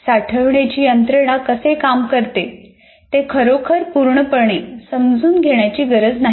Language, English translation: Marathi, We don't have to really fully understand how the storage mechanisms work